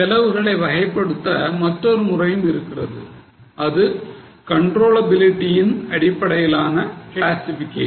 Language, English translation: Tamil, There is another way of classifying that is classification based on controllability